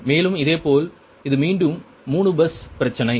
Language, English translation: Tamil, so this is again three bus problem, know